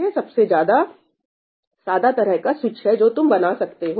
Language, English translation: Hindi, That’s the simplest kind of switch you can build